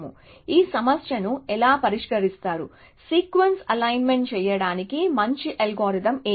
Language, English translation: Telugu, So, how does one solve this problem, what would be a good algorithm to do sequence alignment